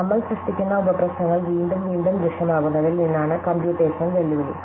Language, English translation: Malayalam, So, the computational challenge comes from the fact that the sub problems that we generate make appear again and again